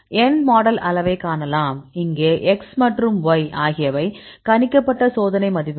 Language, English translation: Tamil, So, you can see n sample size and here x and y are the predicted experimental values